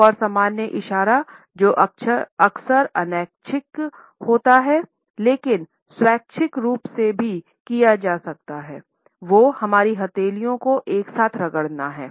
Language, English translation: Hindi, Another common gesture which is often involuntary, but can also be done in a voluntary fashion is rubbing our palms together